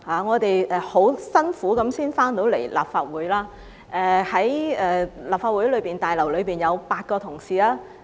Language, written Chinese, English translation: Cantonese, 我們當天十分辛苦才回到立法會，在立法會大樓內有8位同事。, We got back to the Legislative Council Complex that day after strenuous efforts and there were eight colleagues inside the Complex